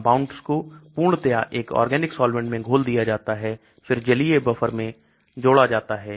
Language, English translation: Hindi, The compound is fully dissolved in an organic solvent then added to aqueous buffer